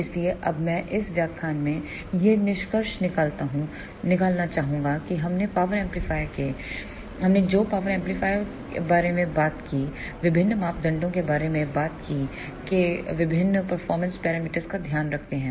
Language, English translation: Hindi, So now, I would like to conclude in this lecture we talked about the power amplifiers, we talked about the various parameters which takes care of various performance parameters of the power amplifiers